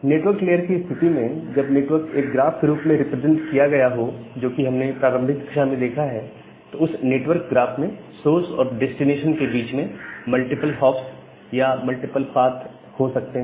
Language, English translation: Hindi, So now in case of a network when the network is represented in the form of a graph, that we have looked into the initial lectures, that in that network graph there can be multiple hops or multiple paths between a source and the destination